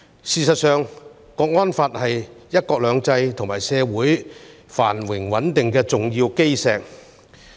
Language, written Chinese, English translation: Cantonese, 事實上，《香港國安法》是"一國兩制"與社會繁榮穩定的重要基石。, As a matter of fact the National Security Law is an important cornerstone of one country two systems and Hong Kongs prosperity and stability